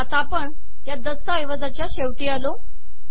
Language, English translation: Marathi, And we have come to the end of this document